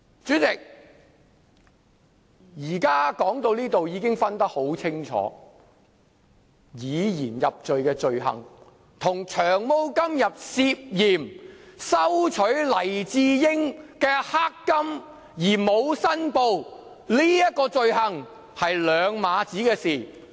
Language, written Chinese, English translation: Cantonese, 主席，說到這裏，現在已能分辨清楚，以言入罪的罪行，與"長毛"今天涉嫌收取黎智英"黑金"而沒有申報的這種罪行是兩碼子的事。, President up to this point we can readily distinguish that the offence allegedly committed by Long Hair in receiving black money from Mr LAI Chee - ying without disclosure is definitely not a speech offence